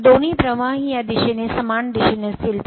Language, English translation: Marathi, So, both the flux will be same direction this one and this one